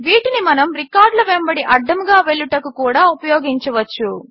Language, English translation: Telugu, We also can use these to traverse through the records